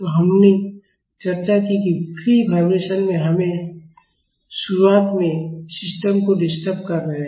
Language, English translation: Hindi, So, we discussed that in free vibration initially we are disturbing the system